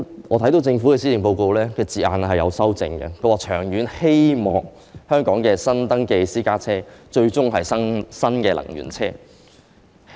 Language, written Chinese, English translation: Cantonese, 我知悉政府曾修正施政報告中的字眼，表示"長遠希望本港的新登記私家車最終全是新能源車"。, I am aware that the Government has amended its wording in the Policy Address stating that [it has] the hope that all newly registered private cars in Hong Kong will eventually be new energy vehicles in the long run